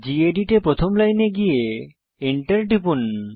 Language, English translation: Bengali, In gedit, go to the first line and press enter